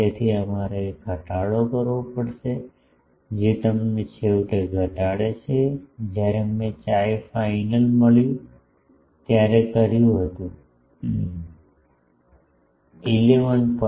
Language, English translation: Gujarati, So, we will have to decrease now that decrease you finally, do when I did I got x final is something like 11